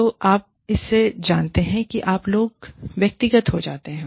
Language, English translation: Hindi, So, you know it, and you people, get personal